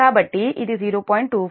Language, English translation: Telugu, so this is actually